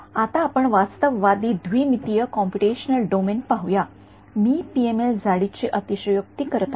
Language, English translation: Marathi, Now let us look at a realistic 2D computational domain, I am exaggerating the PML thickness